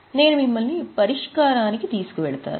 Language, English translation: Telugu, I will just take you to the solution